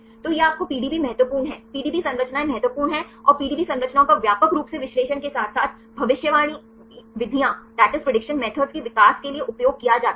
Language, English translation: Hindi, So, this will give you the PDB is important; PDB structures are important and the PDB structures are widely used for the analysis as well as for developing prediction methods